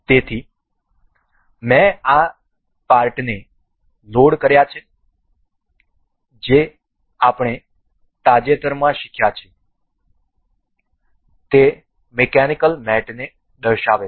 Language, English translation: Gujarati, So, I have loaded this certain parts that would feature the the mechanical mates that we have recently learnt